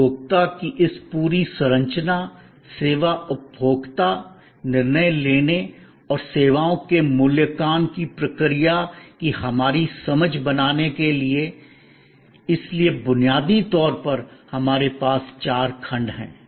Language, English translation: Hindi, To create our understanding of this whole structure of consumer, service consumer decision making and the process of evaluation of services, so fundamentally we have four blocks